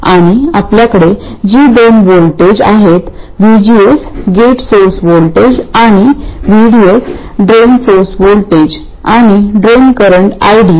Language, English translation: Marathi, And we have the two port voltages VGS, gate source voltage and VDS drain source voltage